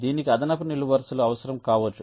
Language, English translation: Telugu, so it may require additional columns